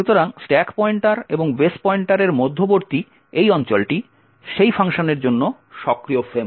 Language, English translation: Bengali, So this region between the stack pointer and the base pointer is the active frame for that particular function